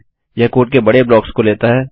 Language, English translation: Hindi, It takes large blocks of code